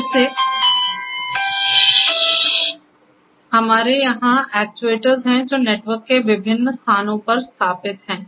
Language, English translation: Hindi, Again, we here have actuators which are installed at different locations of the network